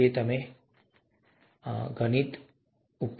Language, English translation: Gujarati, That's also mathematics